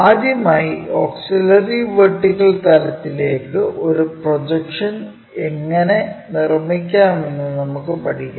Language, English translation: Malayalam, First of all we will learn how to construct projection onto auxiliary vertical plane